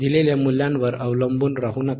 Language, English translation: Marathi, Do not rely on given values